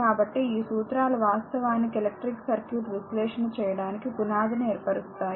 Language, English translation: Telugu, So, these laws actually form the foundation upon which the electric circuit analysis is built